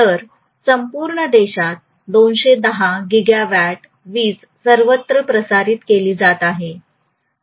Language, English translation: Marathi, So 210 gigawatt of power is being transmitted all over the country, all the time